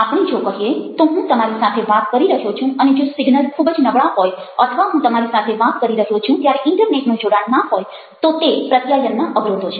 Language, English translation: Gujarati, let us say that i am talking to you and the signals are weak or i am talking to you, the internet internet connection is not there